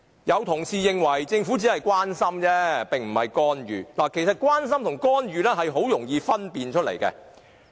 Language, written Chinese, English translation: Cantonese, 有同事認為，政府只是關心，並非干預，其實關心和干預很容易作出區分。, Some colleagues opine that the Government only shows its care and that is not interference . Actually one can easily distinguish between care and interference